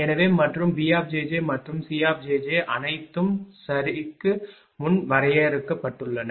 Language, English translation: Tamil, So, and B j j and C c j j all have been defined before right